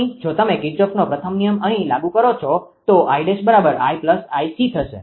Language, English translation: Gujarati, Here if you apply Kirchhoff's first law here, I dash will be your I plus I c